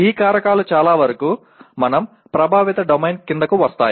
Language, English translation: Telugu, And many of these factors fall into the, what we are calling as affective domain